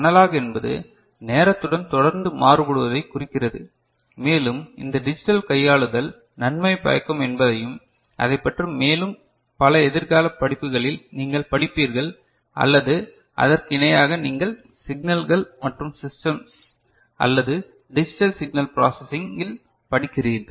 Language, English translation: Tamil, Analog means continuously varying with time and we had already seen that these digital manipulation is of advantage and more about it you will study in some future courses or parallely you are studying in signals and systems or digital signal processing, right